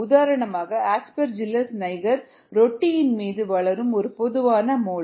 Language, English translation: Tamil, for example, aspergillus niger is a common mold that grows on bread